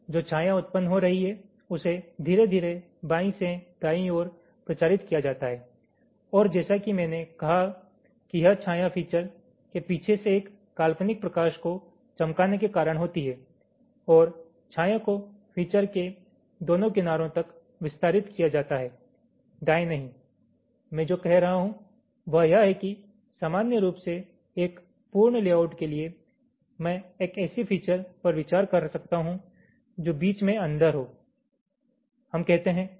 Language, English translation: Hindi, the shadow which is generating is slowly propagated from left to right and, as i said, this shadow is caused by shining an imaginary light from behind the feature and the consideration and the shadow is extended to both sides of the feature, usually not on the right, right, like, ah, like here